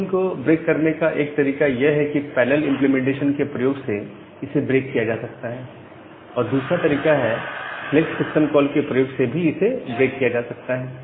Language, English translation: Hindi, So, one way to break the blocking is using this parallel implementation another way to do that thing is to use the select system call